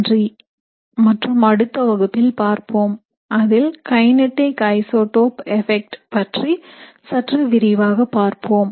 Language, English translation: Tamil, So thank you and I will see you again in the next lecture where we will discuss little more about kinetic isotope effects